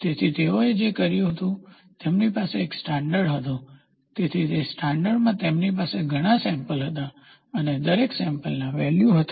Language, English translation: Gujarati, So, what they did was, they had they had a standard, so in that standard they had several samples and each sample they will have values